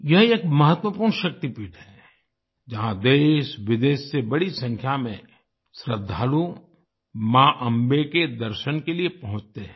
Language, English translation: Hindi, This is an important Shakti Peeth, where a large number of devotees from India and abroad arrive to have a Darshan of Ma Ambe